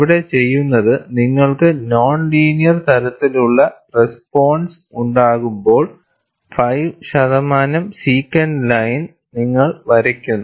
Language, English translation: Malayalam, What is then here is, when you have a non linear type of response, you draw a 5 percent secant line